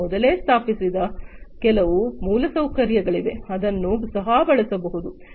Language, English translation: Kannada, And there is some pre installed infrastructure that could also be used